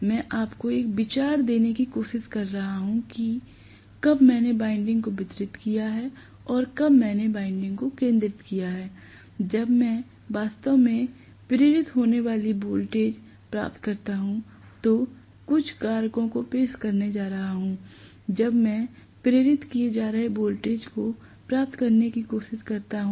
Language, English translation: Hindi, I am trying to give you an idea as to when I have distributed winding versus when I have concentrated winding; it is going to introduce some factors when I actually get the voltage being induced, when I try to derive the voltages being induced